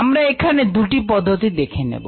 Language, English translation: Bengali, we just look at these two methods